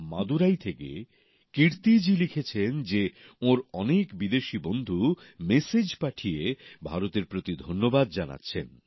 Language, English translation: Bengali, Kirti ji writes from Madurai that many of her foreign friends are messaging her thanking India